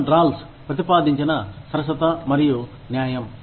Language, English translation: Telugu, Fairness and justice, proposed by John Rawls